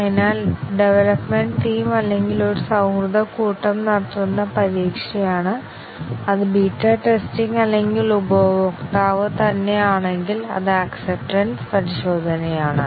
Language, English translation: Malayalam, So, that is the test carried out either by the development team or a friendly set of teams, which is the beta testing or the customer himself, which is the acceptance testing